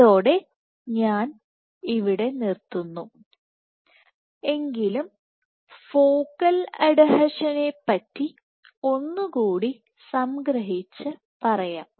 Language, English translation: Malayalam, With that I stop here, but let me summarize by saying that focal adhesion